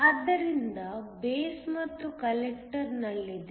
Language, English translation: Kannada, So, is in the base and the collector